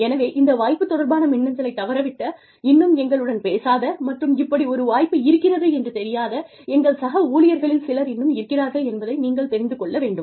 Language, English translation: Tamil, So, you know, there are still some of our colleagues, who have probably missed this e mail, who have not yet talked to us, and who do not know, that this kind of an opportunity, exists